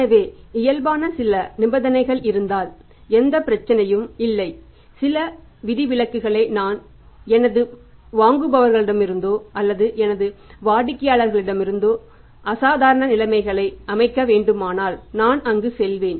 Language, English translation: Tamil, So, no problem if there are certain conditions which are not normal if I have to accept some abnormal conditions also from my buyer or from my customer I I will go by there